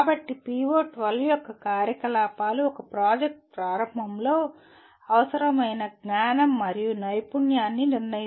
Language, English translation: Telugu, So the activities of PO12 include determine the knowledge and skill needed at the beginning of a project